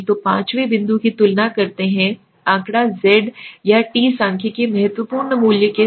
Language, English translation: Hindi, So the fifth point compares the statistic the z statistic z or t statistic with the critical value